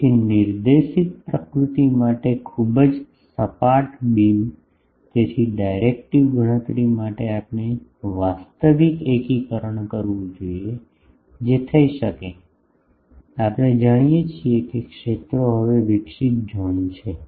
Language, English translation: Gujarati, So, very flat beam to a directed nature so, for directive calculation, we have to do actual integration that can be done, we know the fields now radiated zone